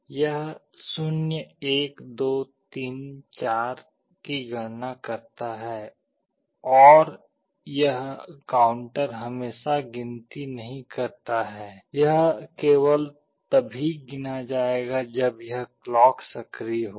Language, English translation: Hindi, It counts 0, 1, 2, 3, 4 like that and this counter is not counting always, it will be counting only when this clock will be coming